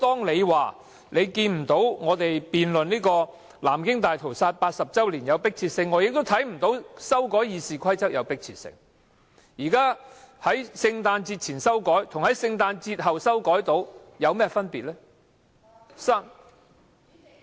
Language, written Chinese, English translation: Cantonese, 你說你看不到我們辯論南京大屠殺80周年的迫切性，我也看不到修改《議事規則》的迫切性，在聖誕節前修改與在聖誕節後修改有何分別？, You said you did not see any urgency for us to conduct a debate commemorating the 80 anniversary of the Nanking Massacre . I too fail to see the urgency for amending RoP and the difference between doing so before and after the Christmas holidays